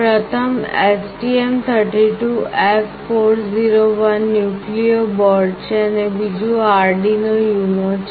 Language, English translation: Gujarati, The first one is STM32F401 Nucleo board and another one is Arduino UNO